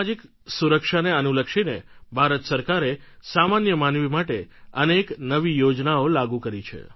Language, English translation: Gujarati, The government of India has launched various schemes of social security for the common man